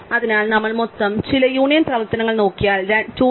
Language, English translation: Malayalam, So, therefore, if we look at some total of m union operations, we know that 2 m